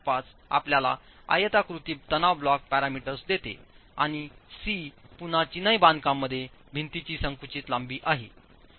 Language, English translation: Marathi, 85 gives you the rectangular stress block parameters and C is again the compressed length of the wall in masonry